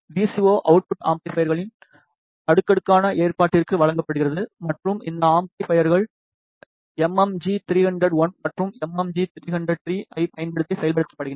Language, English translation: Tamil, The VCO output is given to the cascaded arrangement of amplifiers and these amplifiers are implemented using MMG 3001 and, MMG 3003